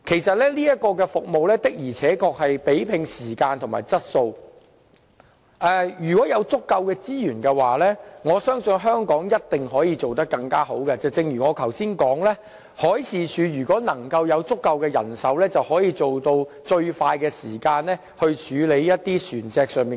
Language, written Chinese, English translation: Cantonese, 這項服務確實是以時間和質素取勝，如果有足夠資源，我相信香港一定可以做得更好，正如我剛才說，如果海事處有足夠的人手，便可以做到以最快時間處理船隻求助個案。, I trust that Hong Kong must be able to outperform them as long as there are adequate resources . As I have said just now with sufficient manpower the Marine Department will be able to respond to requests for assistance by ships at the fastest speed